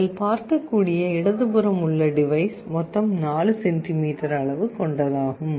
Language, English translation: Tamil, The one on the left you can see is 4 centimeters total in size